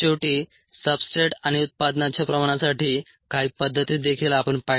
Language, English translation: Marathi, finally, some methods for substrate and product concentrations we also saw